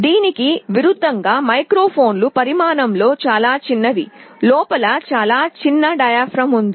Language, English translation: Telugu, In contrast microphones are very small in size; there is a very small diaphragm inside